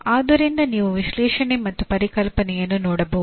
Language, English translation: Kannada, So you can see analyze and conceptualize